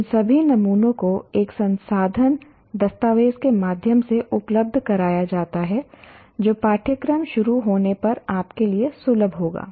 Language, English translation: Hindi, All these samples are made available through a resource document which will be accessible to you when the course is on